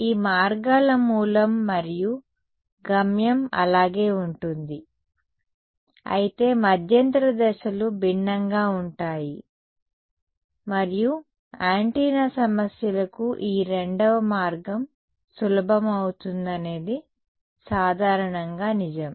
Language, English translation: Telugu, The source and destination of these routes remains the same, but the intermediate steps are different and for antenna problems this is generally true that this second route is easier ok